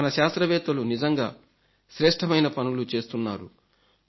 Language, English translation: Telugu, Our scientists are doing some excellent work